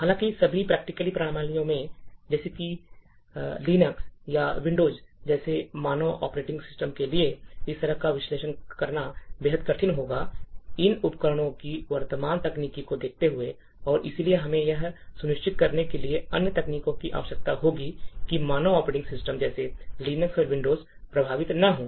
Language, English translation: Hindi, However for all practical systems like standard operating systems like Linux or Windows such, doing such an analysis would be extremely difficult, given the current technology of these tools and therefore we would require other techniques to ensure that standard operating systems like Linux and Windows are not affected by malware or any other kind of external malicious code